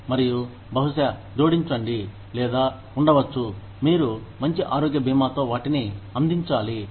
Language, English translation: Telugu, And, maybe, add to, or maybe, you need to provide them, with better health insurance